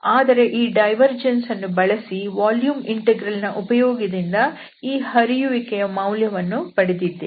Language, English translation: Kannada, So using this divergence theorem, this flux we are computing using this volume integral